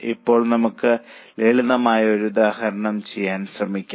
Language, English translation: Malayalam, Now, let us try to do one simple illustration